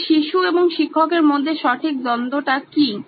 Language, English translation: Bengali, And what is the exact conflict between the children and the teacher